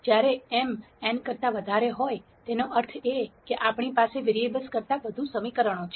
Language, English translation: Gujarati, When m is greater than n; that means, we have more equations than variables